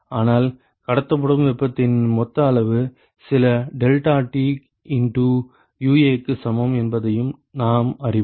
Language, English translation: Tamil, But we also know that the total amount of heat that is transported is equal to UA into some deltaT